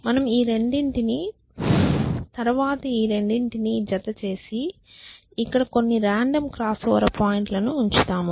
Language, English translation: Telugu, So, how so let us say we pair these 2 and then we pair these 2 and we put some random crossover point